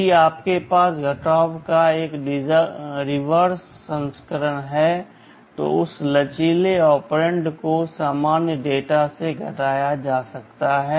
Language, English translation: Hindi, If you have a reverse version of subtract then that flexible operand can be subtracted from or the normal data